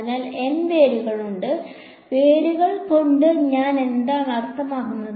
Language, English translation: Malayalam, So, there are N roots, by roots what do I mean